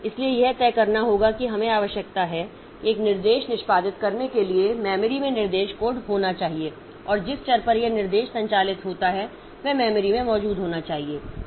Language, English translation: Hindi, So, it has to decide like this is the, we have got the requirement that for executing an instruction the instruction code must be there in the memory and the variable on which this instruction operates that must be present in the memory